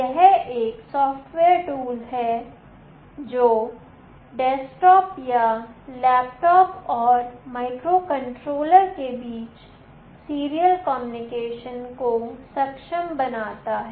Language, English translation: Hindi, It is a software tool that enables serial communication between a desktop or a laptop and the microcontroller